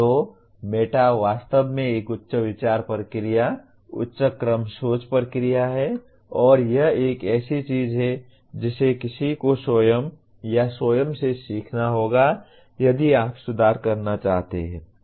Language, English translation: Hindi, So going meta is truly speaking a higher thinking process, higher order thinking process and this is something that one has to learn by himself or herself if you want to keep improving